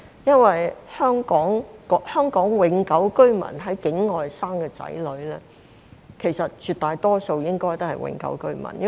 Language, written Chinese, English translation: Cantonese, 因為香港永久性居民在境外所生的子女，絕大多數也屬於永久性居民。, In the majority of cases children born outside Hong Kong of Hong Kong permanent residents HKPRs are also HKPRs